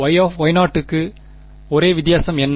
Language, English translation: Tamil, For Y 0 what is the only difference